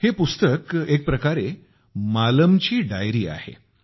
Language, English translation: Marathi, This book, in a way, is the diary of Maalam